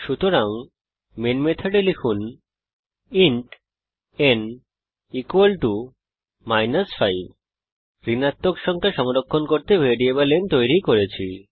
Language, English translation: Bengali, So inside the main method type int n = minus 5 We have created a variable n to store the negative number